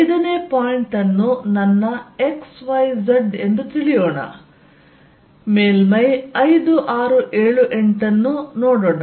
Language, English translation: Kannada, Let us look at the point 5 is my x, y, z, let us look at surface 5, 6, 7, 8